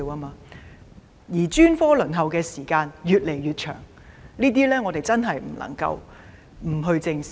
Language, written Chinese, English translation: Cantonese, 此外，專科治療的輪候時間越來越長，這些問題真的不能不正視。, Besides the waiting time for specialist services is also getting increasingly long and we should indeed face up squarely to these problems